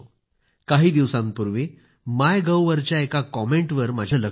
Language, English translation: Marathi, I happened to glance at a comment on the MyGov portal a few days ago